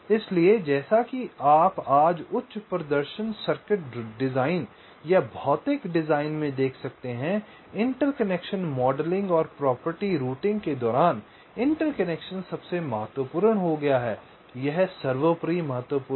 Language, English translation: Hindi, so as you can see today in the high performance circuit design or the physical design, modelling of interconnection and property routing the interconnections